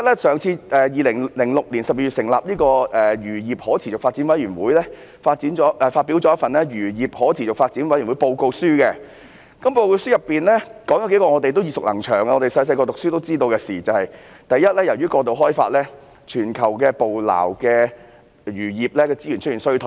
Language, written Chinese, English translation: Cantonese, 首先 ，2006 年12月成立的漁業可持續發展委員會發表了一份《漁業可持續發展委員會報告》，當中談到數件我們耳熟能詳、小時候唸書也得知的事︰第一，由於過度開發，全球捕撈漁業資源出現衰退。, First of all in the Report of the Committee on Sustainable Fisheries published by the Committee on Sustainable Fisheries established in December 2006 several issues that we have been very familiar with since childhood were discussed first global capture fisheries resources have shown signs of decline due to over - exploitation